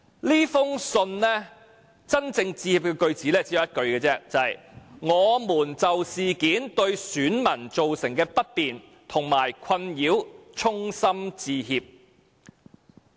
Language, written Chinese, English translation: Cantonese, 這封信真正致歉的句子其實只有一句而已，便是"我們就事件對選民造成的不便和困擾衷心致歉"。, Only one line in the letter is about their apology . It says The REO sincerely apologizes for the inconvenience and distress to electors caused by the incident